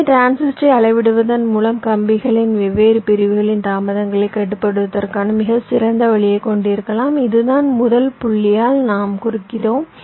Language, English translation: Tamil, so just by scaling the transistor we can have a very nice way of controlling the delays of the different segments of the wires, right